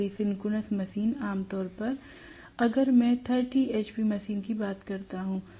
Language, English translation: Hindi, So, synchronous machine generally if I talk about a 30 hp machine